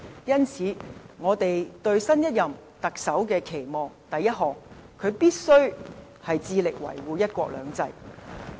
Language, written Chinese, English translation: Cantonese, 因此，我們對新一任特首的期望是：第一，他必須致力維護"一國兩制"。, So we expect the next Chief Executive to firstly strive to safeguard one country two systems